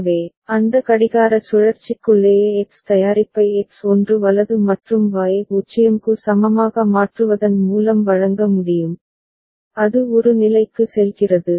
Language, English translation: Tamil, So, within that clock cycle itself right the product X can be delivered by making X is equal to 1 right and Y is equal to 0 and it goes to state a